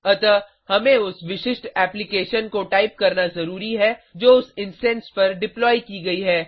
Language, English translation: Hindi, So,we must type the specific application that has been deployed on that instance